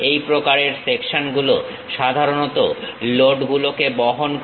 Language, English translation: Bengali, These kind of sections usually supports loads